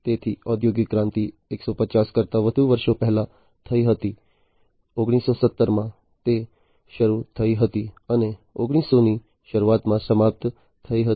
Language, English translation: Gujarati, So, the industrial revolution happened more than 150 years back, in the 1970s it started, and ended in the early 1900